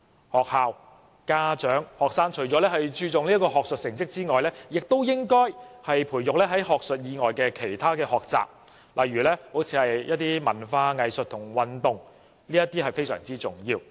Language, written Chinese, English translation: Cantonese, 學校、家長和學生除了注重學術成績外，也應該培育學生在學術以外的其他學習，例如文化、藝術和運動，這點是非常重要的。, Apart from focusing on academic results it would also be important for the schools and parents to encourage other pursuits by the students for example in arts and culture sports and so on